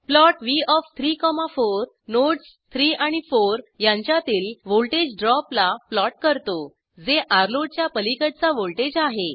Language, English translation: Marathi, Plot v of 3,4 plots the voltage drop between the nodes 3 and 4, that is the voltage across Rload